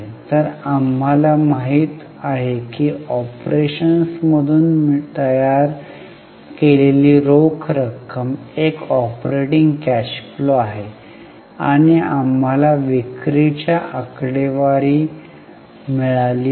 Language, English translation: Marathi, So, we know the cash generated from operations is operating cash flow and we have got net sales figures